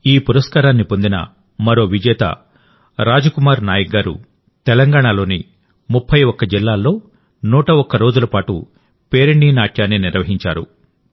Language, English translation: Telugu, Another winner of the award, Raj Kumar Nayak ji, organized the Perini Odissi, which lasted for 101 days in 31 districts of Telangana